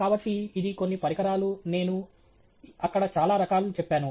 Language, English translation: Telugu, So, this is some equipment; as I said a lot of variety is there